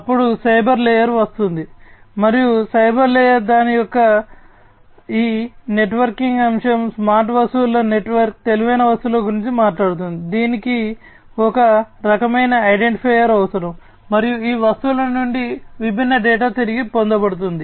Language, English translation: Telugu, Then comes the cyber layer, and the cyber layer is talking about this networking aspect of it, network of smart objects, intelligent objects, which will need some kind of an identifier, and from this objects the different data are going to be retrieved